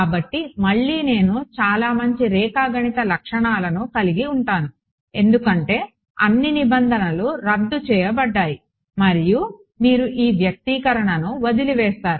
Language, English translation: Telugu, So, again I will there are some very nice geometric features because of which all terms cancel of and your left with this expression